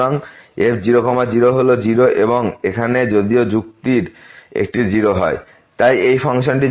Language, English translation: Bengali, So, is 0 and here if one of the argument is 0